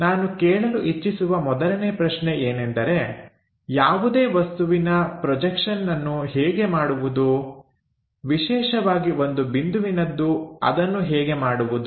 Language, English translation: Kannada, The first question what we would like to ask is how to draw projection of any object especially a point